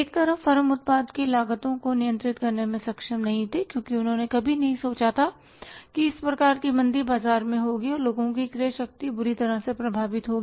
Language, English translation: Hindi, On the one side, firms were not able to control the cost of the product because they never had thought of that this type of the recession will be there in the market and the purchasing power of the people will be badly affected